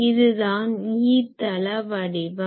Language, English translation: Tamil, So, this is the E plane pattern